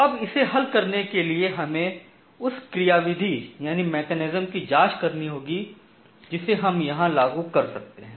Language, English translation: Hindi, Now to solve this let us look into the mechanism that we can apply here